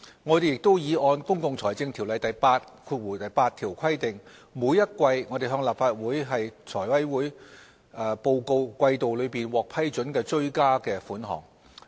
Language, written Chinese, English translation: Cantonese, 我們亦已按《條例》第88條的規定，每季向立法會及財務委員會報告季度內獲批准的追加撥款。, We have also provided quarterly updates to the Legislative Council and the Finance Committee on supplementary provisions approved as required under section 88 of PFO